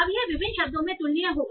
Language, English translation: Hindi, So now it will be comparable across different words